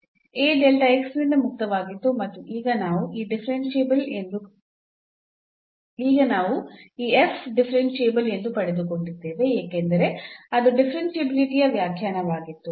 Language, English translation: Kannada, So, A was free from delta x, and now we got that this f is differentiable because that was the definition of the differentiability